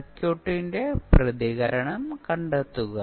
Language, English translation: Malayalam, And find out the response of the circuit